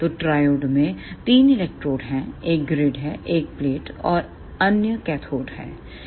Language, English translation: Hindi, So, in triode there are three electrodes one is grid, then plate and other is cathode